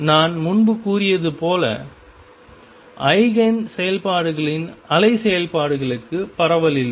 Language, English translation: Tamil, As I said earlier the wave functions that are Eigen functions do not have a spread